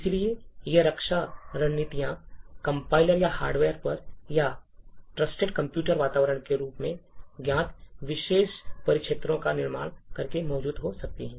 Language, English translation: Hindi, So, these defence strategies could be present either at the Compiler or at the Hardware or by building special enclaves known as Trusted Computing Environments